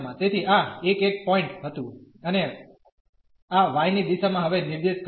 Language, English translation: Gujarati, So, this was the point the 1 1 point and in the direction of this y now